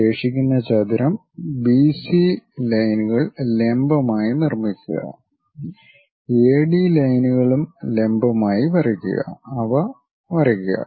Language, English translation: Malayalam, Construct the remaining rectangle BC lines vertical, AD lines also vertical, draw them